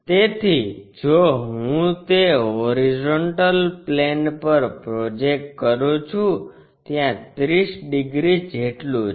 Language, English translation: Gujarati, So, if I am projecting that onto horizontal plane there is a 30 degrees thing